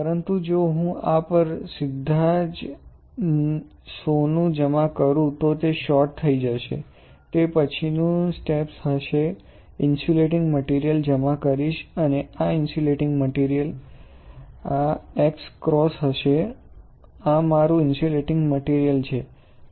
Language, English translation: Gujarati, But if I deposit gold directly on this then it will get short; that is why the next step would be, I will deposit insulating material and this insulating material the pattern would be this x cross ok, this is my insulating material